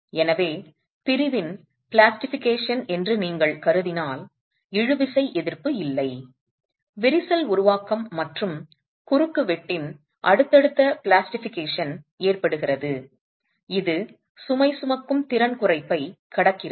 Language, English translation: Tamil, So once you assume plastication of the section and you assume that there is no tensile resistance, crack formation and subsequent plastication of the cross section is occurring, which is what is causing the reduction in the load carrying capacity